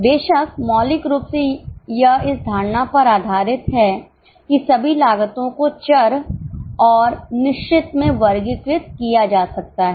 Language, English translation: Hindi, Of course, fundamentally it is based on the assumption that all costs can be classified into variable and fixed